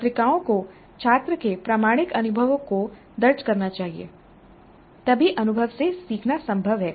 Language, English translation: Hindi, Journals must record the authentic experiences of the students